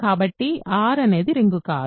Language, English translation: Telugu, So, R is not a ring